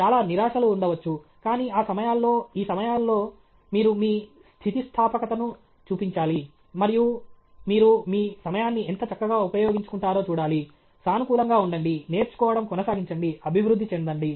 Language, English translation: Telugu, There may lots of frustrations, but in all these times, all these times you should show your resilience and see how optimally you will make use of your time; stay positive, keep learning, keep improving